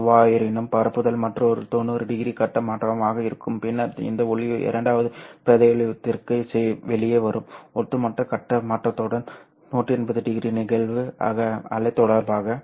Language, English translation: Tamil, However, while propagation, there will be another 90 degree phase shift, then this light will come out into the second region, right, with an overall phase shift of 180 degree with respect to the incident wave